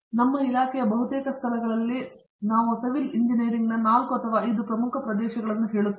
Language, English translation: Kannada, Well, at least in our department in most of the places we would have say 4 or 5 major areas of civil engineering